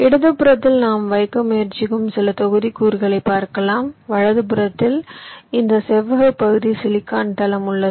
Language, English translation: Tamil, on the left we show some modules that we are trying to place and this rectangular region on the right is our silicon floor